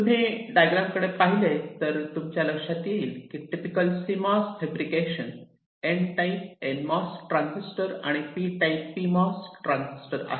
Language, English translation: Marathi, this diagram shows you the typical cmos: fabrication of a of a n type transis, nmos transistor and a pmos transistor